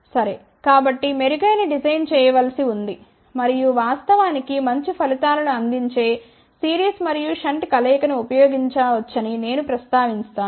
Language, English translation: Telugu, So, better design has to be done and in fact, I did mention that one can use combination of series and shunt that will provide better results